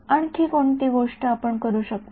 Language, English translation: Marathi, Any further thing, that we can do